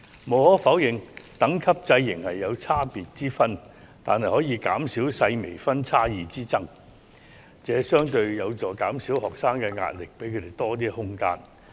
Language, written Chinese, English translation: Cantonese, 無可否認，等級制仍有差別之分，但可減少細微分數差異的紛爭，相對有助減少學生的壓力，給予他們更多空間。, Undeniably there will still be difference in ratings under the grade rating system but it will minimize disputes arising from slight differences in scores which will relatively help to reduce the pressure faced by students and give them more room